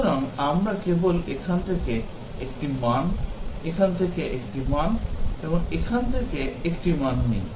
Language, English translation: Bengali, So, we just take 1 value from here, 1 value from here, 1 from here